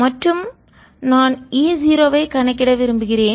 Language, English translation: Tamil, and i want to calculate e zero